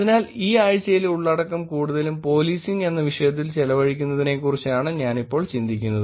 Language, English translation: Malayalam, So, what I thought I will do now is about spending this week's content mostly on topic called policing